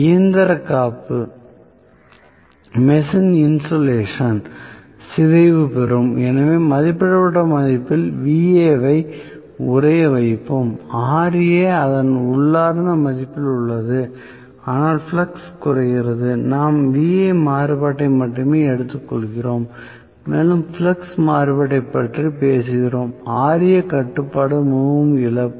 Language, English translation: Tamil, Machine insulation will get rupture, so, we will freeze Va at rated value Ra remains at its inherent value but flux is decreased so we are taking about only Va variation and we are talking about flux variation Ra control is very lossy